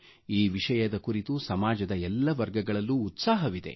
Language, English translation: Kannada, This campaign has enthused people from all strata of society